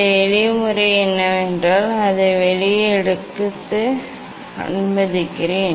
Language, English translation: Tamil, this simple method what is that let me take it out